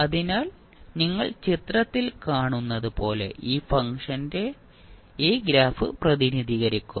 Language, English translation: Malayalam, So, this function will be represented by this particular graph as you are seeing in the figure